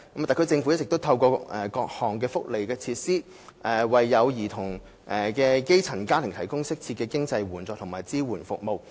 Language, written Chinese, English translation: Cantonese, 特區政府一直透過各項福利措施，為有兒童的基層家庭提供適切的經濟援助和支援服務。, All along the SAR Government has provided appropriate financial assistance and support services for grass - roots families with children through various welfare measures